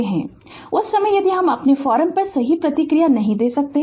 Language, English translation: Hindi, At the time if you cannot will response to your forum right